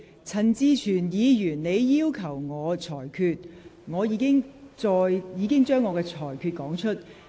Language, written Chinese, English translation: Cantonese, 陳志全議員，就你剛才提出的要求，我已經說明了我的裁決。, Mr CHAN Chi - chuen concerning the request that you raised just now I have already stated my ruling